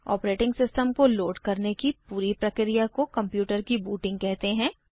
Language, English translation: Hindi, The whole process of loading the operating system is called booting the computer